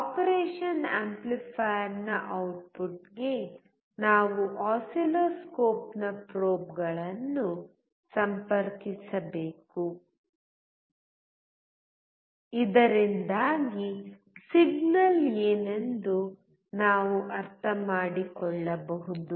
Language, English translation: Kannada, We have to connect the probes of oscilloscope to the output of the operation amplifier, so that we can understand what the signal is